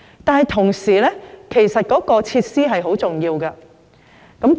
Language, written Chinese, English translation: Cantonese, 不過，與此同時，設施也是很重要的。, Nonetheless equally important is the provision of facilities